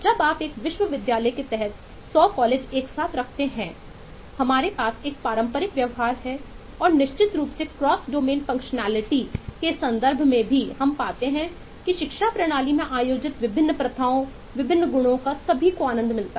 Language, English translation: Hindi, when you put 100 colleges together under a university, we have a traditional behavior and certainly uh also in terms of cross domain functionality, we find that uh, different eh practices, different eh properties that are held in the education system are also enjoyed by several other